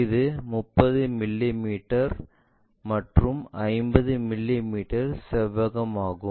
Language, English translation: Tamil, It is a 30 mm by 50 mm rectangle